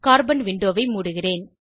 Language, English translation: Tamil, I will close the Carbon window